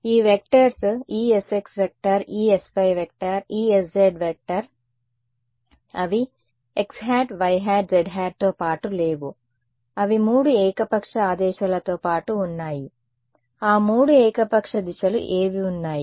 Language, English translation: Telugu, So, these vectors E s x E s y and E s z they are not along x hat y hat z hat they are not they are along 3 arbitrary directions, what are those 3 arbitrary directions